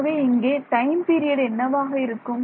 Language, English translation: Tamil, So, what is the time period there